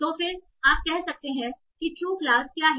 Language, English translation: Hindi, So then you can say that what is the true class